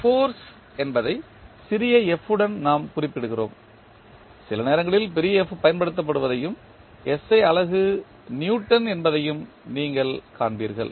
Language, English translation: Tamil, Force we represent with small f sometimes you will also see capital F is being used and the SI unit is Newton